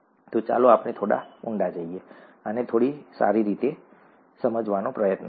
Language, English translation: Gujarati, So let us go a little deeper, let us try to understand this a little better